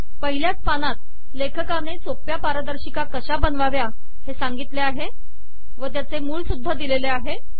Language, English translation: Marathi, In the very first page the author talks about how to create simple slides and he has given the source also